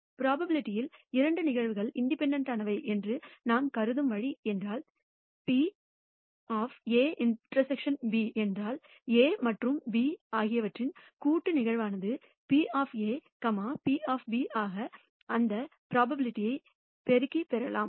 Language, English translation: Tamil, In probability it is the way we consider two events to be independent is if the probability of A intersection B which means A joint occurrence of A and B can be obtained by multiplying their respective probabilities which is probability of A into probability of B